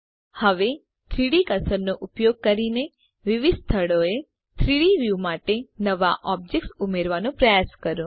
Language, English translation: Gujarati, Now try to add new objects to the 3D view in different locations using the 3D cursor